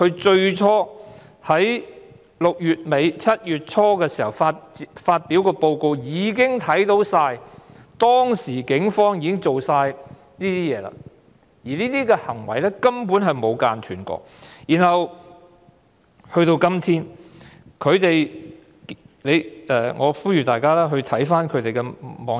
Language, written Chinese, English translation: Cantonese, 在6月尾、7月初發表的報告已經看到警方當時的行為，而這些行為至今沒有間斷，我呼籲大家瀏覽他們的網頁。, The report published in late Juneearly July has already revealed the how the Police behaved at that time and they are still behaving like this today . I urge you to visit their website